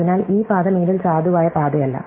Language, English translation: Malayalam, So, this path is no longer a valid path